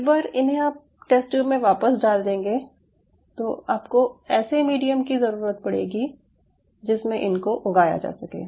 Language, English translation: Hindi, once i put it back in the test tube now, you will be needing the medium where you are going to resuspend it to grow